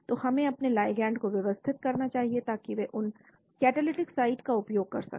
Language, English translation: Hindi, so we should adjust our ligand so that they make use of those catalytic site